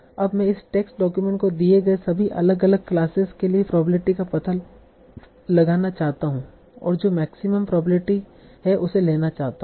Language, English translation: Hindi, Now I want to find out the probability for all the different classes given this test document and I want to take the one that is having the maximum probability